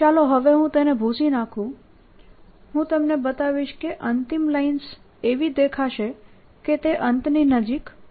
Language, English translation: Gujarati, i'll show you the final lines are going to look like: it'll become stronger near the end